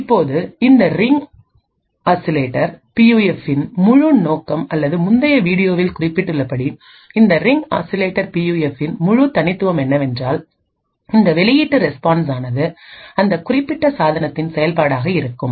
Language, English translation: Tamil, Now the entire purpose of this Ring Oscillator PUF or the entire uniqueness of this Ring Oscillator PUF as mentioned in the previous video is that this output response is going to be a function of that particular device